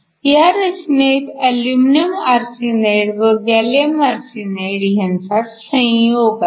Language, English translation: Marathi, So, consider the case of a gallium arsenide, aluminum gallium arsenide material